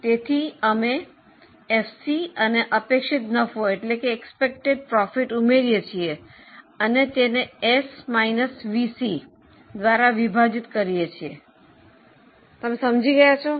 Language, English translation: Gujarati, So, now FC plus expected profit is in the numerator divided by S minus VC